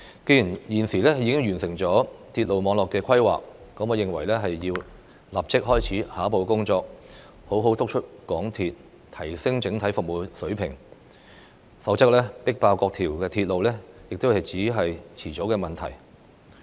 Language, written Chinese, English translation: Cantonese, 既然政府現時完成了鐵路網絡的規劃，我認為便要立即開始下一步工作，好好督促香港鐵路有限公司提升整體服務水平，否則"迫爆"各條鐵路只是遲早的問題。, Now that the Government has completed the planning for railway network I think it should take the next step by urging the Mass Transit Railway Corporation Limited to enhance its overall service quality or all the railway lines will be overloaded sooner or later